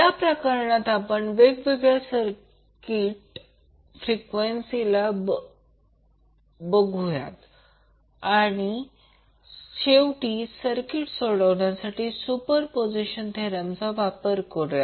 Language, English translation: Marathi, So, in this case we will also create the different circuits for different frequencies and then finally we will use the superposition theorem to solve the circuit